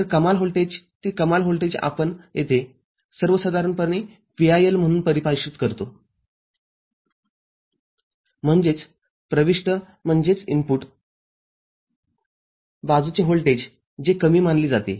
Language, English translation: Marathi, So, that maximum voltage that maximum voltage we define here in general as VIL; that means, the voltage at the input side which is considered low